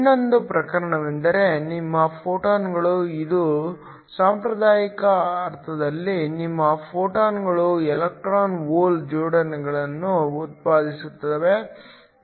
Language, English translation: Kannada, The other case is your photons, which is the traditional sense in that your photons generate electron hole pairs